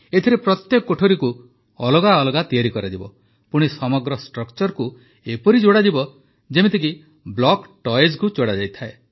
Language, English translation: Odia, In this, every room will be constructed separately and then the entire structure will be joined together the way block toys are joined